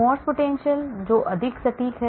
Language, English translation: Hindi, There is something called Morse potential which is more accurate